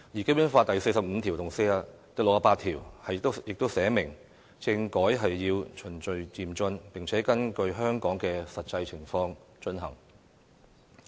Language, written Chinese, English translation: Cantonese, 《基本法》第四十五條和第六十八條亦訂明政改要循序漸進，並且根據香港的實際情況進行。, Articles 45 and 68 have also stipulated that constitutional reform shall be specified in the light of the actual situation in HKSAR and in accordance with the principle of gradual and orderly progress